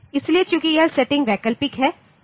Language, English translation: Hindi, So, since this is since this setting is optional